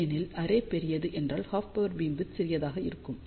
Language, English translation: Tamil, Because, larger the array half power beamwidth will be small